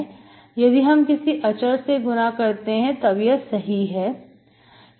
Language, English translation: Hindi, If I multiply with some constant, it is also fine